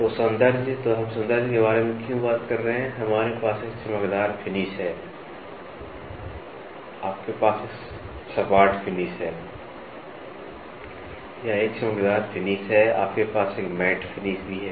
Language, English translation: Hindi, So, aesthetic, so why are we talking about aesthetic is, we have a glossy finish, you have a flat finish or a glossy finish, you also have something called as a matte finish